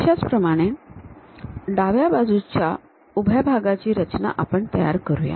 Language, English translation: Marathi, Similarly, let us construct left hand vertical face